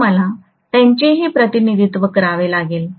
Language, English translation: Marathi, So I have to represent them as well